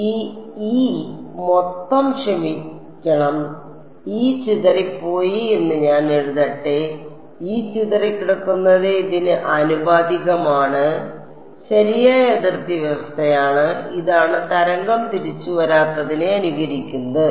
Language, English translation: Malayalam, Let me write it as this E total sorry E scattered; E scattered is proportional to this is the correct boundary condition, this is what simulates a wave not coming back going on forever free space